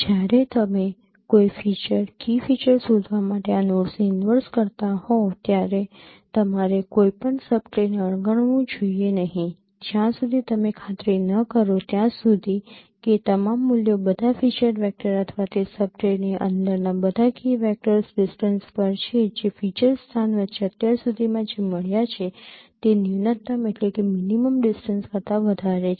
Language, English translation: Gujarati, You should not ignore any subtree when while traversing this note for searching a feature, key feature, you should not ignore it unless you make sure that all the values all the all the feature vectors or all the key vectors within that sub tree there they are at a distance which is greater than the minimum distance what has been found so far among the feature space so that is why you have to store the current smallest distance and the respective key feature